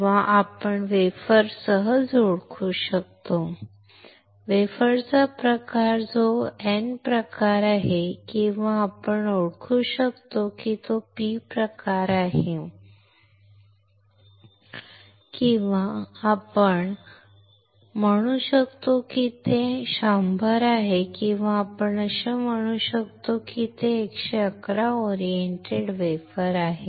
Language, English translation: Marathi, Or we can easily identify the wafer, type of the wafer that is n type, or we can identify whether it is p type or we can say whether it is 100 or we can say it is 111 oriented wafer